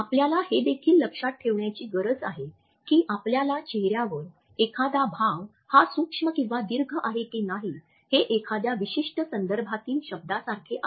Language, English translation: Marathi, We also have to remember that a single expression on our face whether it is micro or macro is like a word in a particular context